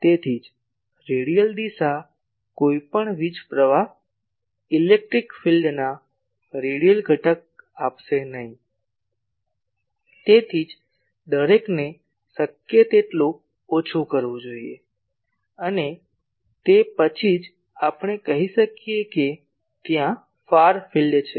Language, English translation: Gujarati, So, that is why radial direction will not give any power flow, radial component of electric field; that is why each should be curtailed as much as possible and then only we can say far field has been there